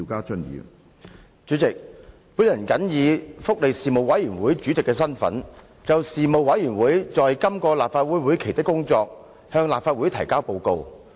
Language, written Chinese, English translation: Cantonese, 主席，我謹以福利事務委員會主席的身份，就事務委員會在今個立法會會期的工作，向立法會提交報告。, President in my capacity as Chairman of the Panel on Welfare Services the Panel I would like to submit to the Council the Report on the work of the Panel during this legislative session